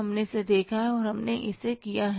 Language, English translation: Hindi, We have seen it and we have done it